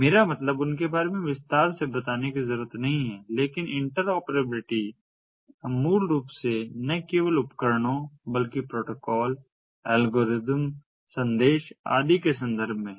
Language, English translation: Hindi, but in terms of interoperability, we are basically referring to interoperability of not only devices but also protocols, algorithms, messages and so on